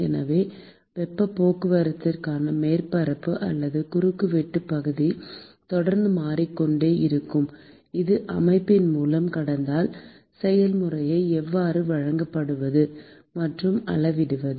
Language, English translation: Tamil, So, how to characterize and quantify conduction process through a system where the surface area or cross sectional area for heat transport is constantly changing